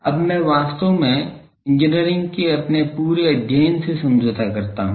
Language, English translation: Hindi, I now that compromises actually our whole study of engineering